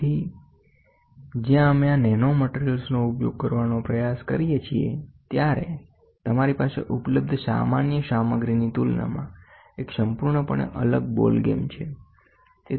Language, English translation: Gujarati, So, when we try to use these nanomaterials, you have a completely different ball game as compared to the normal materials available